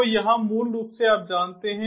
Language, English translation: Hindi, so here, basically, you know